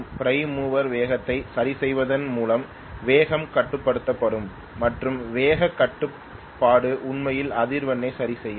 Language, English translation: Tamil, The speed will be control by adjusting the prime mover speed itself and speed control will adjust actually the frequency